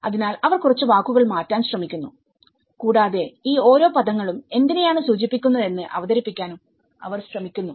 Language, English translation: Malayalam, So, they try to alter a few words and they try to present you know, how each of these terminologies refers to what